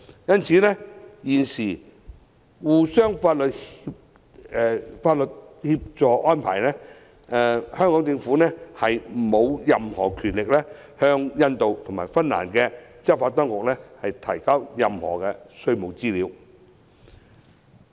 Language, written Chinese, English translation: Cantonese, 因此，在現行相互法律協助安排下，香港政府沒有任何權力向印度及芬蘭的執法當局提交任何稅務資料。, Hence under the current arrangements for mutual legal assistance the Government of Hong Kong does not have any power to hand over any tax information to the enforcement authorities of India and Finland